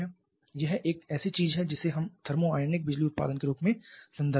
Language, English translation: Hindi, Another quite potent option is thermionic power generation